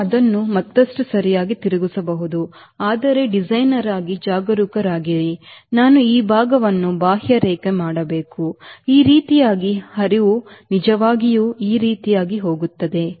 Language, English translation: Kannada, so i can deflect it further, right, but be careful, as a designer i should contour this portion in such a way that the flow really goes like this